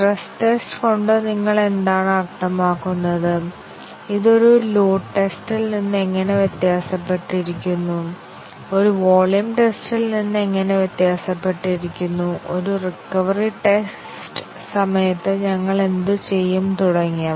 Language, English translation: Malayalam, What do you mean by stress test, how is it different from a load test, how is it different from a volume test, what do we do during a recovery test and so on